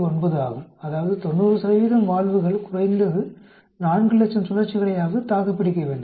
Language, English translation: Tamil, 9 that is 90 percent of the valves should survive at least 400,000 cycles